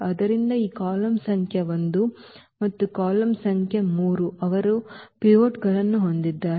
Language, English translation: Kannada, So, this column number 1 and the column number 3 they have the pivots